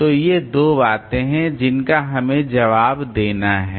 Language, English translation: Hindi, So, these are the two things that we have to answer